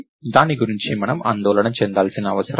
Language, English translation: Telugu, We don't have to worry about that